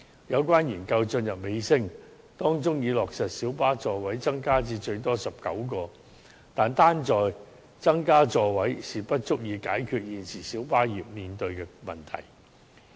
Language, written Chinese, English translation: Cantonese, 有關研究已進入尾聲，並已落實小巴座位增加至最多19個的建議，但增加座位並不足以解決現時小巴業面對的問題。, The latter Study which is in its final stage has implemented the proposal for increasing the seating capacity of minibuses to 19 seats . Nevertheless the current problems faced by the minibus trade cannot be fully addressed by this increase in seating capacity